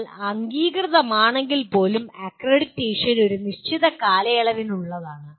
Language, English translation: Malayalam, And even if you are accredited, again the accreditation is for a limited period